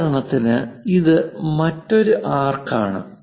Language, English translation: Malayalam, For example, this is another arc